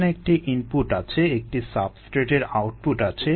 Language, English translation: Bengali, there is an input, there is an output, of course, of the substrate, ah